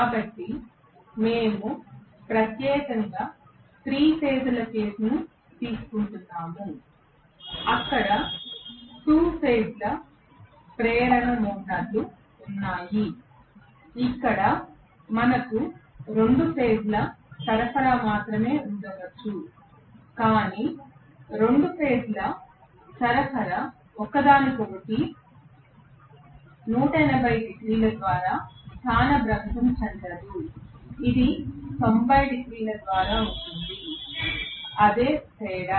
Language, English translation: Telugu, So, we are specifically taking a 3 phase case, there are 2 phase induction motors as well where we may have only 2 phase supply but, 2 phase supply is a not displaced from each other by 180 degrees, it is rather by 90 degrees, that all is the different